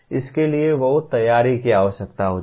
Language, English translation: Hindi, That requires lot of preparation